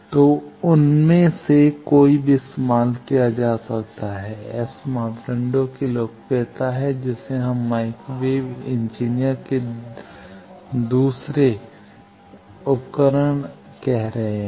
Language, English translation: Hindi, So, any of them can be used there is the popularity of S parameter which we are calling the second 2 tool of microwave engineer